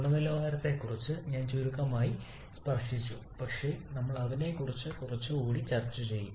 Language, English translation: Malayalam, I just briefly touched up on the name quality but we shall be discussing a bit more on that